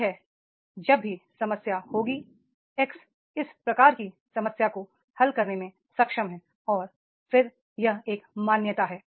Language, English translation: Hindi, That is whenever they will be the problem, X is able to solve this type of the problem is there and then that that is recognition